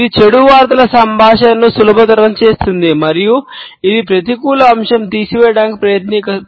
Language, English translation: Telugu, It eases off communication of bad news and it tries to take the edge off of a negative aspect